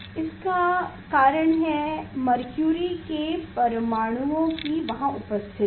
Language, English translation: Hindi, this reason is behind this is that the mercury atoms are there is